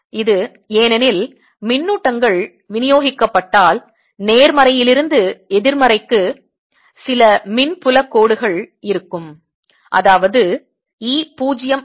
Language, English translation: Tamil, it is because if the charges distributed then there will be some electric field line from positive to negative and that means e is not zero